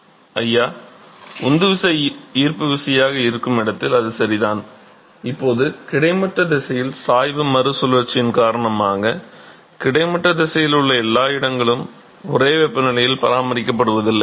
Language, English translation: Tamil, That is correct where the driving force is gravity here now the gradient in the horizontal direction, because of the re circulation not every location in the horizontal direction is going to be maintained at same temperature